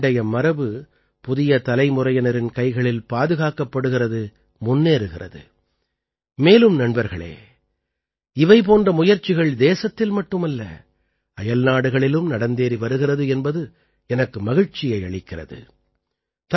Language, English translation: Tamil, That is, the old heritage is being protected in the hands of the new generation, is moving forward and friends, I am happy that such efforts are being made not only in the country but also abroad